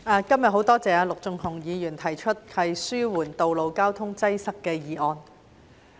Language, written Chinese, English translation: Cantonese, 主席，很感謝陸頌雄議員今天提出這項"紓緩道路交通擠塞"的議案。, President I am very grateful to Mr LUK Chung - hung for moving this motion on Alleviating road traffic congestion today